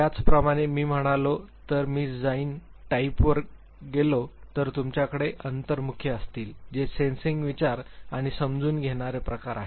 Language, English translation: Marathi, Similarly, say if I go to perceiving type then you will have introverts who is sensing, thinking, perceiving type